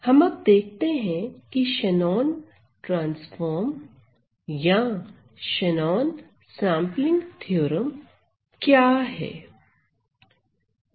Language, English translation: Hindi, So, let us see what is this Shannon transform or Shannon sampling theorem